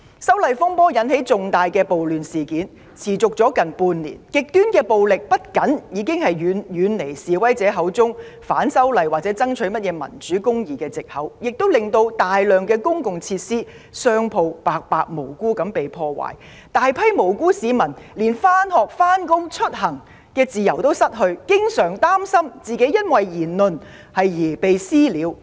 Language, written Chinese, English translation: Cantonese, 修例風波引發的重大暴亂事件已持續了近半年，極端暴力不僅背離示威者口中反修例和爭取所謂"民主"、"公義"的藉口，亦令大量公共設施及商鋪無辜被破壞，大批無辜市民連上學、上班及出行的自由也失去，還經常擔心因為個人言論而被"私了"。, Extreme violence has not only gone far beyond the movement of opposition to the proposed legislative amendments and the protesters excuses of striving for the so - called democracy and justice . We have also seen very many public facilities and innocent shops being vandalized . Very many innocent citizens have lost their freedom to go to school to go to work and to travel